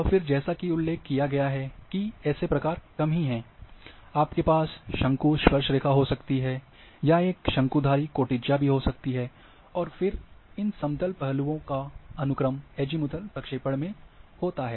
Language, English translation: Hindi, And then as mentioned that low variants are there, you can have a conic tangent, and you can have a conic secant and then these planar object thing planar aspects sequence have in Azimuthal projections